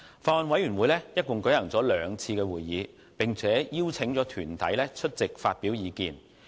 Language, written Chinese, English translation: Cantonese, 法案委員會一共舉行了兩次會議，並邀請團體出席發表意見。, The Bills Committee has held two meetings and received views from deputations